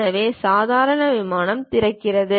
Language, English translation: Tamil, So, normal plane opens up